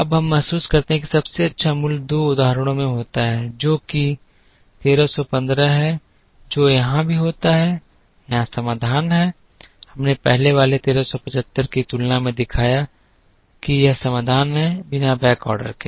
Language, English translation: Hindi, Now, we realize that the best value happens in two instances, which is 1315 here which also happens to be the solution here that we shown compare to 1375 of the earlier one this is the solution, without backordering